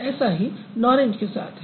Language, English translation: Hindi, Similar is the case with a norange